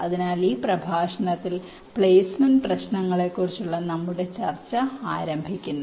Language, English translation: Malayalam, so we start our discussion on the placement problem in this lecture